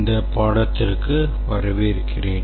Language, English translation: Tamil, Welcome to this lecture